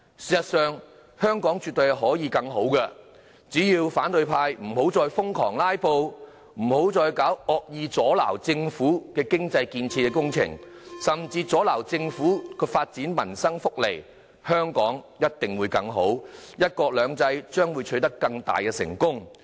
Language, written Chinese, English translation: Cantonese, 事實上，香港絕對可以更好，只要反對派不要再瘋狂"拉布"，不要再惡意阻撓政府的經濟建設工程，甚至阻撓政府發放民生福利，香港一定會更好，"一國兩制"將會取得更大的成功。, In fact Hong Kong can surely be better . As long as the opposition camp no longer filibusters frantically no longer wilfully obstructs economic development projects undertaken by the Government and impedes the Governments distribution of welfare benefits Hong Kong can certainly be better and greater successes will be achieved in terms of one country two systems